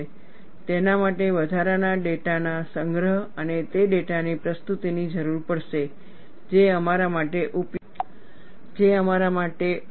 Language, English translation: Gujarati, That would require collection of additional data and presentation of data in a useful fashion for us to use